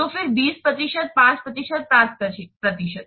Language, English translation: Hindi, So, again, 20% 5% and 5%